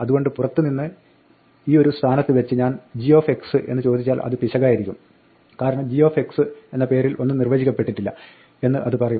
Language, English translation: Malayalam, So, from outside if I go if I ask g of x at this point this will be an error, because it will say there is no such g defined